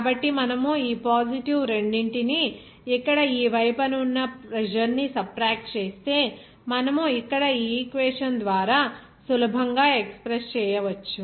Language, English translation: Telugu, So, if you subtract these positive two here this side of pressure then you can easily express by this equation here